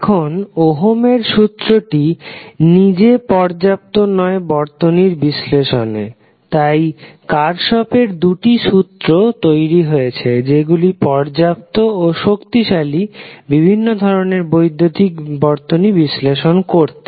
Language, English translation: Bengali, Now, the Ohm’s Law itself is not sufficient to analyze the circuit so the two laws, that is Kirchhoff’s two laws were developed which are sufficient and powerful set of tools for analyzing the large variety of electrical circuit